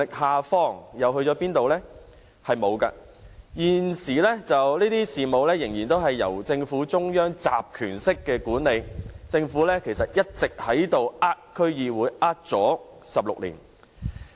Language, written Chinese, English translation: Cantonese, 是沒有的。現時，這些事務仍然由政府中央集權式管理，政府一直在欺騙區議會，騙了16年。, At present the powers of management of services are still centralized within the Government which has been cheating the DCs for 16 years